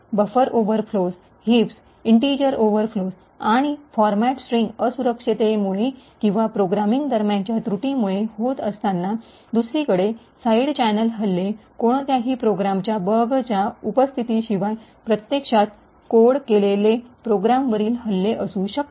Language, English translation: Marathi, While these like the bugs buffer overflows, heaps, integer overflows and format strings are due to vulnerabilities or due to flaws during the programming, side channel attacks on the other hand, could be attacks on programs which are actually coded correctly without any presence of any bug